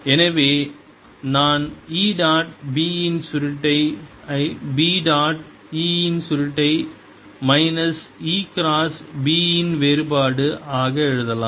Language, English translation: Tamil, therefore i can write e dot curl of b as b dotted with curl of e, minus divergence of e cross b